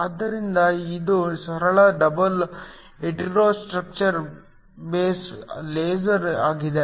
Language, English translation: Kannada, So, this is just a simple double hetero structure base laser